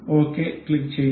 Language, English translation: Malayalam, we will click ok